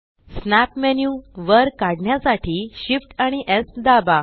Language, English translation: Marathi, Shift S to pull up the snap menu